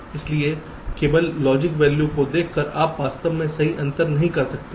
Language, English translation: Hindi, so just by looking at the logic value you really cannot distinguish right